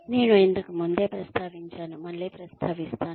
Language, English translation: Telugu, I have mentioned this earlier, and I will mention it again